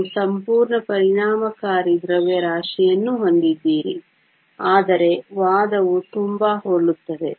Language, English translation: Kannada, You also have a whole effective mass, but the argument is very similar